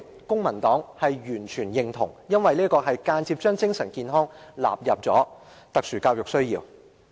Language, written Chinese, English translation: Cantonese, 公民黨完全認同這一點，因為這是間接將精神健康納入特殊教育需要。, The Civic Party fully supports this initiative because it indirectly lists mental health as a special education need